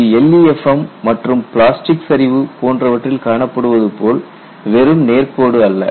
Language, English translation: Tamil, It is not simply a straight line from LEFM and straight line from plastic collapse